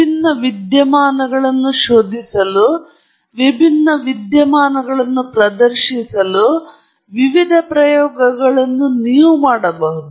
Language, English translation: Kannada, There are lots of different experiments you can do to probe different phenomena, to demonstrate different phenomena, and so on